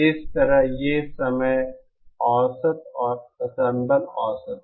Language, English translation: Hindi, Similarly these are the time average and the ensemble average